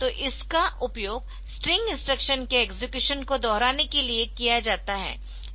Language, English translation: Hindi, So, it is used to repeat execution of string instruction